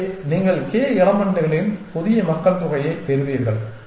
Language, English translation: Tamil, So, you get a new populations of k elements